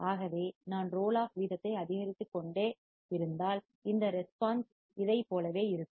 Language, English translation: Tamil, So if I keep on increasing the roll off rate, this response would be similar to this